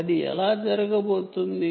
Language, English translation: Telugu, how do you do that